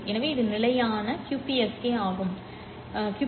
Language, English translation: Tamil, So this is the standard QPSK format